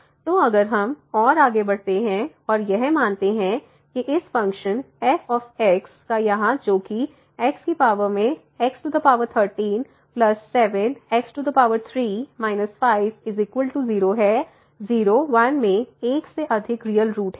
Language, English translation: Hindi, So, if we move further suppose that this this function here x power 13 plus 7 x minus 5 has more than one real root in [0, 1]